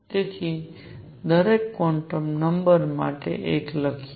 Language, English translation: Gujarati, So, one for each quantum number